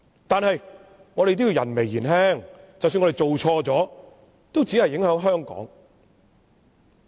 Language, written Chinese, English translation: Cantonese, 但是，我們人微言輕，即使我們做錯亦只影響香港。, But as insignificant as we are even if we have made any mistakes we will only affect Hong Kong